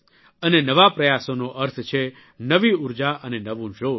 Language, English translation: Gujarati, And, new efforts mean new energy and new vigor